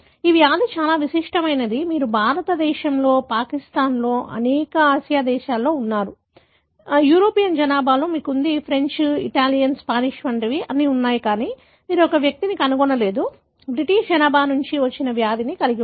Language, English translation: Telugu, This disease is very unique in the sense, you have it in India, Pakistan, many Asian countries, you have it in the European population, like the French, Italian, the Spanish, all you have, but you do not find an individual who is having the disease who has descended from the Britishpopulation